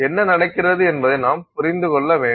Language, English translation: Tamil, So, we need to understand what is happening